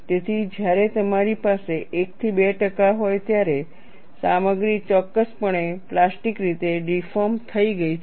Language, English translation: Gujarati, So, when you have 1 to 2 percent, the material has definitely deformed plastically